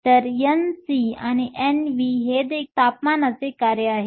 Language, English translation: Marathi, So, N c and N v are also a function of temperature